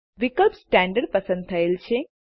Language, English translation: Gujarati, The option Standard has a check